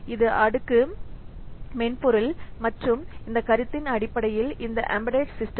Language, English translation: Tamil, This is the layered software and based on this concept this embedded systems work